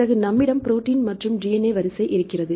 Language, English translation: Tamil, Then we have the protein sequence and the DNA sequence fine